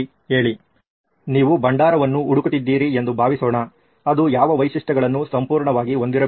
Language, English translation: Kannada, Say, suppose you are looking for a repository, what all features should it absolutely have